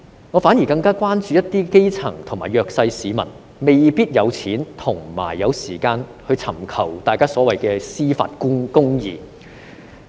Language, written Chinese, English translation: Cantonese, 我反而更加關注一些基層及弱勢市民未必有金錢和時間尋求所謂的司法公義。, Instead I am more concerned that some grass roots and the underprivileged may not have the money and time to seek the so - called justice